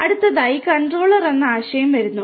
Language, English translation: Malayalam, Next comes the concept of the Controller